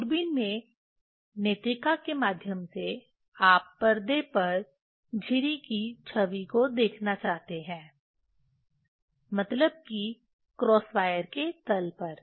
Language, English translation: Hindi, Through the eyepiece in the telescope, you want to see the image of the slit at the screen means at the plane of the cross wire